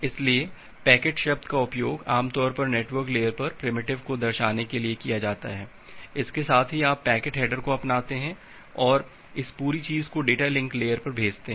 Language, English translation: Hindi, So, packet the term packet is normally used to denote the primitive at the network layer, with that you adopt the packet header and send this entire thing to the data link layer